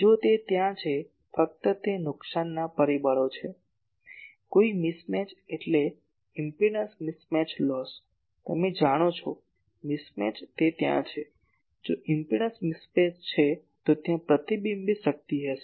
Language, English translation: Gujarati, If it is there , simply at those loss factors ; no mismatch mismatch means impedance mismatch loss , mismatch loss you know if it is there , if there impedance mismatch, then there will be the reflected power